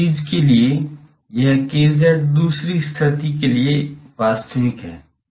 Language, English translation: Hindi, And for this thing, this k z is real for the other condition